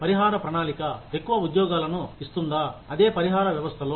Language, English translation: Telugu, Will the compensation plan, place most employees, under the same compensation system